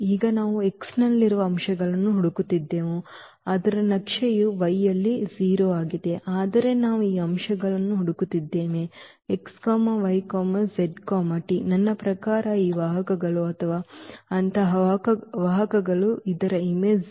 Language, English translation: Kannada, Now, we are looking for the elements in x whose map is 0 in y, so that means, we are looking for these elements x, y, z t I mean these vectors or such vectors whose image is 0